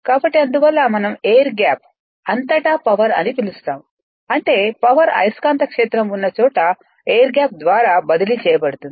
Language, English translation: Telugu, So, that is why we call power across air gap; that means, power actually is what you call transferred right through the air gap the where you have the magnetic field right